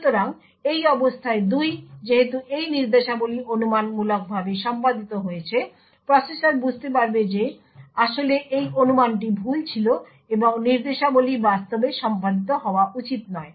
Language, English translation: Bengali, So, in this condition 2 since these instructions following have been speculatively executed the processor would realize that in fact this speculation was wrong and these instructions were actually not to be executed